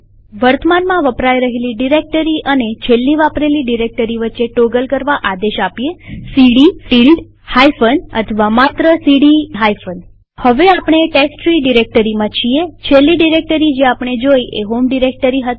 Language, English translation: Gujarati, One may also toggle between the current working directory and the last directory used by giving the command cd ~ minus or only cd minus Like now that we are in the testtree directory, the last directory we visited was the home directory